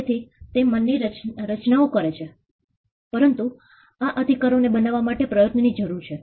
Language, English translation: Gujarati, So, they are creations of the mind, but it requires an effort to create these rights